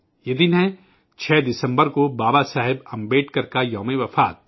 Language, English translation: Urdu, This day is the death anniversary of Babasaheb Ambedkar on 6th December